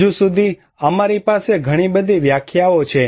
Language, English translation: Gujarati, So far, we have so many definitions are there